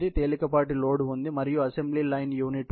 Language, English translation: Telugu, There is a light load and there is an assembly line unit